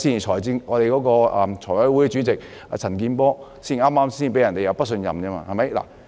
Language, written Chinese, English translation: Cantonese, 財委會主席陳健波議員剛剛在星期一亦被提不信任議案。, A motion of no confidence in Mr CHAN Kin - por Chairman of the Finance Committee was also moved last Monday